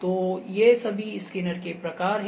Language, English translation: Hindi, So, these are the major kinds of scanners